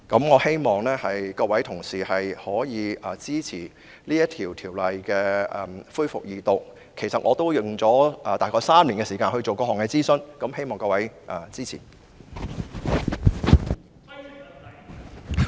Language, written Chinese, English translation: Cantonese, 我希望各位同事支持《條例草案》恢復二讀，因為我合共花了大約3年時間進行各項諮詢，所以希望各位支持。, I hope that Honourable colleagues will support the resumption of the Second Reading of the Bill as I have spent a total of about three years to conduct various consultation activities . Therefore I wish to solicit Members support